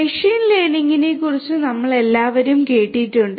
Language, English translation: Malayalam, All of us we have heard about machine learning nowadays